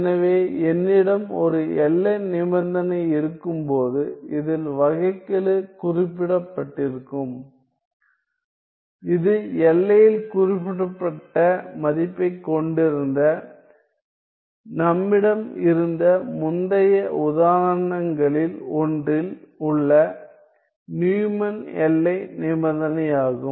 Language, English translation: Tamil, So, when I have a boundary condition in which the derivative is specified that is the Neumann boundary condition in one of the previous examples we had the value specified at the boundary